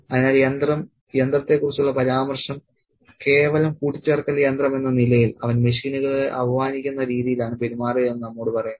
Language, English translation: Malayalam, So machine, the reference to machine as a mere adding machine tells us that he is treating machines in a demeaning way as if they don't have any brains or identity for themselves